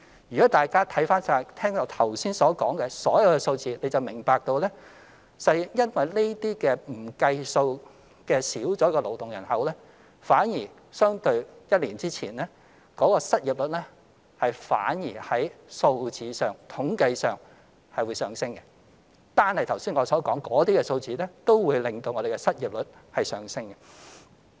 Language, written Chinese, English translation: Cantonese, 如果大家看看我剛才說的所有數字，就會明白實際上因為這些不計算又減少了的勞動人口，相對一年前失業率反而在數字上、統計上會上升；單是剛才談的數字，也會令失業率上升。, If Members look at the figures I just mentioned they will understand that the unemployment rate has increased statistically in comparison with that in the previous year because of the excluded and declined labour force . The figures I mentioned just now will also lead to a higher unemployment rate